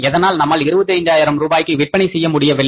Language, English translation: Tamil, Why we couldn't achieve the target, why we couldn't sell for 25,000 rupees